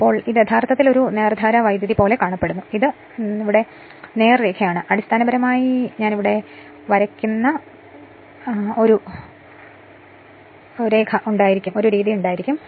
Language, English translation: Malayalam, Then this is actually apparently it will be apparently looks like a DC, you are straight line, but basically it will have a I am drawing it here